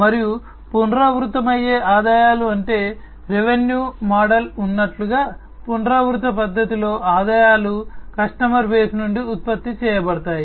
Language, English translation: Telugu, And recurring revenues means, like there could be a revenue model from which in a recurring fashion, the revenues are generated from the customer base